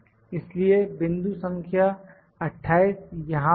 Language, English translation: Hindi, So, point number 28 is here, here I am having point number 28